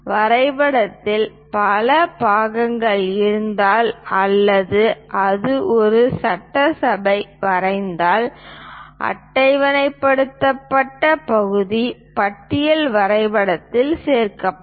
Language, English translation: Tamil, If the drawing contains a number of parts or if it is an assembly drawing a tabulated part list is added to the drawing